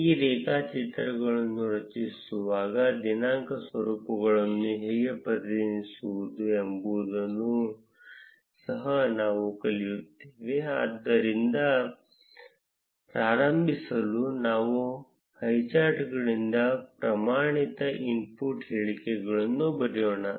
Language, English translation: Kannada, In this code, we will also learn how to represent date formats while creating the graphs, but to start with, let us write the standard inputs statements, which is from highcharts import highchart